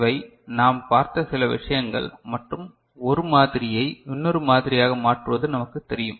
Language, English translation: Tamil, So, these are certain things that we had seen and we knew how to convert one model to another